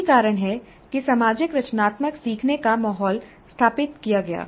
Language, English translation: Hindi, And that is the reason for establishing social constructivist learning environment